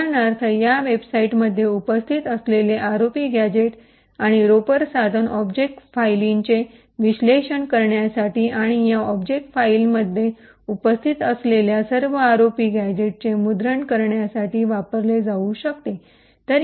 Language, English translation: Marathi, For example, the tool ROP gadget and Ropper present in these websites can be used to analyse object files and print all the ROP gadgets present in these object files